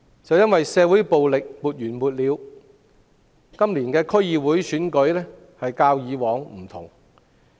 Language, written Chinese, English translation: Cantonese, 正因為社會暴力沒完沒了，今次區議會選舉與以往有所不同。, Precisely because of such endless violence in society this DC Election is different from the past